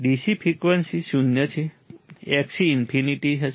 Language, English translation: Gujarati, DC frequency is zero, Xc would be infinite right